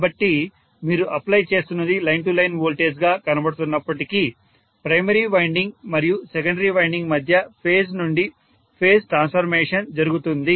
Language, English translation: Telugu, So, what you are applying looks as though it is line to line voltage, but what happens between the primary winding and secondary winding is phase to phase transformation